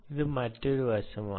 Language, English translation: Malayalam, so this is another aspect